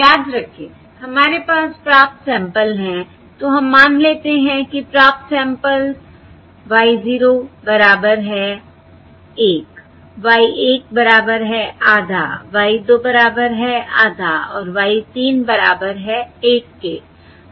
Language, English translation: Hindi, so let us say the received samples are: y 0 equals well, 1, y 1 equals half, y 2 equals half and y 3 equals 1